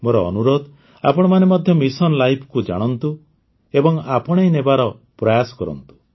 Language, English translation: Odia, I urge you to also know Mission Life and try to adopt it